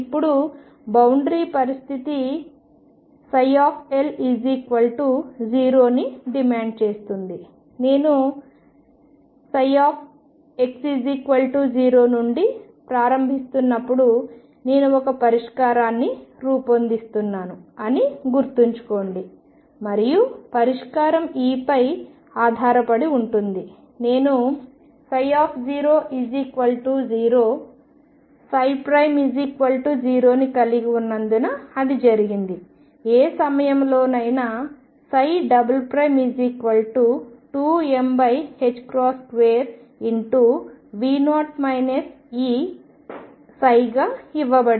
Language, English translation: Telugu, Now boundary condition demands that psi L be equal to 0, remember now when I am starting from psi equal to psi at x equals 0, I am building up a solution and the solution depends on E; what is that happened because I had a psi 0 equal to 0 psi prime equal to 0, but I have psi double prime at any point which is given as 2 m over h cross square V 0 minus E psi